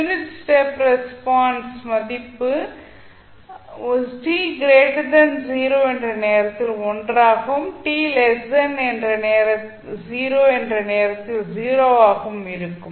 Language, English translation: Tamil, The value of unit step function is 1 at time t is t greater than 0 and it is 0 for time t less than 0